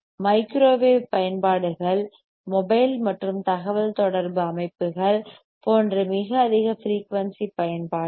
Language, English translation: Tamil, Microwave applications, very high frequency applications, like mobile and communication systems